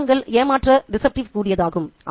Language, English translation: Tamil, So, appearances are deceptive